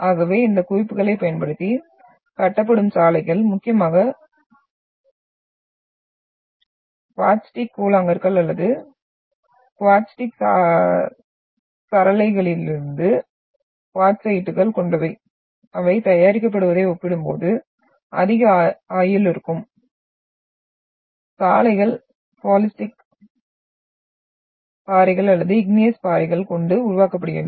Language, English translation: Tamil, So the roads which are being constructed using these aggregates, that is mainly of quartzites from quartzitic pebbles or quartzitic gravels will have more durability as compared to when they are been made, the roads are made using the aggregates which are from the basaltic rocks or the igneous rocks